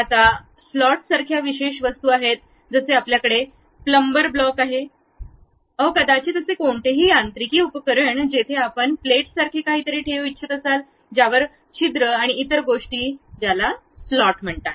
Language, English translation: Marathi, Now, there are specialized objects like slots, something like you have a plumber blocks, maybe any mechanical device where you want to keep something like a plate with holes and other things that kind of things what we call slots